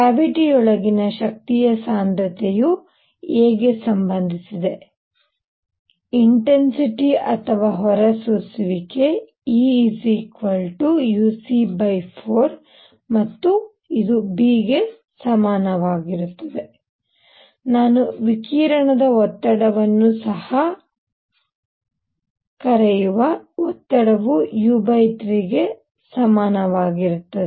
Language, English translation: Kannada, Number 2; the energy density u inside the cavity is related to a; intensity or emissivity; E as equal to as E equal u c by 4 and b; pressure which I will also call a radiation pressure is equal to u by 3